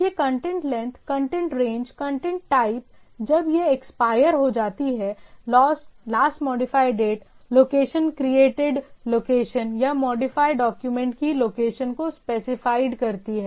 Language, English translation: Hindi, So, that is content length, content range, content type, when it expires, last modified date, location specifies the location of the created or modified document